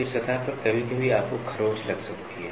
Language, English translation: Hindi, Then, on the surface sometimes you can have a scratch